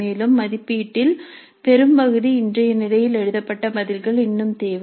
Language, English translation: Tamil, And much of the assessment still requires written responses as of now